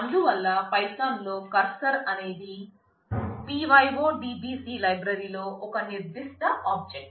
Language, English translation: Telugu, So, in python the cursor was a particular object in the pyodbc library